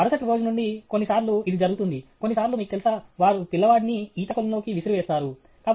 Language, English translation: Telugu, Next day onwards…Sometimes, it happens, sometimes, you know, they just throw out the child into the swimming pool okay